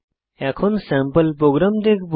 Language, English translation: Bengali, We will look at sample program